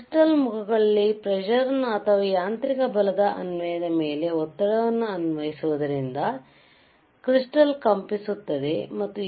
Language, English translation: Kannada, Applying pressure wear across the faces of the crystal or, on application of mechanical force, to methe crystal vibrates and an the A